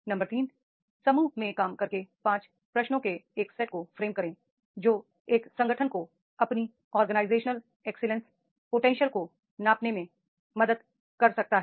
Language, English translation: Hindi, Point number two, question number two, work in group to frame a set of five questions that could help an organization measure its leadership excellence potential